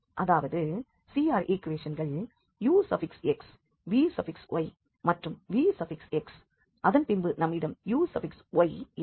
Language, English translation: Tamil, So, they are equal that means the CR equations ux, vy and vx and then we have uy